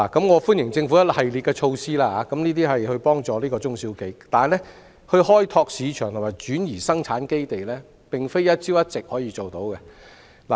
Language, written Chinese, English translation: Cantonese, 我歡迎政府推出一系列協助中小企業的措施，但開拓市場及轉移生產基地，並非一朝一夕可以做到。, While I welcome the series of measures introduced by the Government to assist SMEs I think enterprises cannot develop their markets and transfer production base in a day